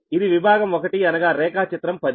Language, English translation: Telugu, this is the section one is figure ten